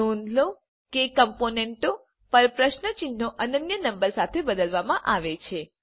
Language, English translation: Gujarati, Notice that the question marks on the components are replaced with unique numbers